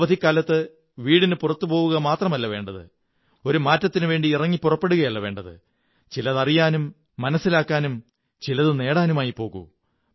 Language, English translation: Malayalam, I would request that during these vacations do not go out just for a change but leave with the intention to know, understand & gain something